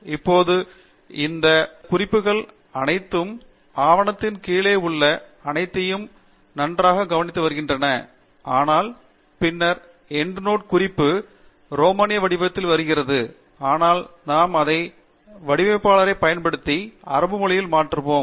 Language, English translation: Tamil, And now, you notice that the references have all come nicely at the bottom of the document, but then, the Endnote Reference is coming in the Roman letter but we could change it to the Arabic format by using what is called as the Style Inspector